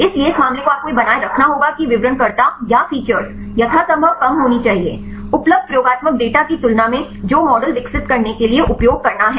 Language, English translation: Hindi, So, this case you have to maintain that the descriptors or the features should be as less as possible; compared with the experimental data available that to use to do for developing the model